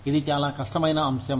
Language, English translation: Telugu, It is a very difficult topic